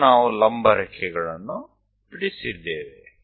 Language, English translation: Kannada, So, vertical lines we have drawn